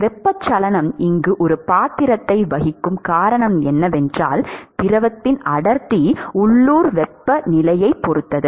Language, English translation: Tamil, The reason why convection plays a role here is that, the density of the fluid depends upon the local temperature